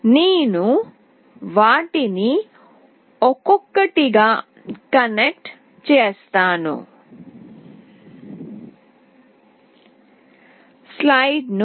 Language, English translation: Telugu, I will be connecting them one by one